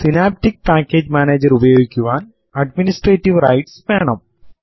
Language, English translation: Malayalam, You need to have the administrative rights to use Synaptic package manager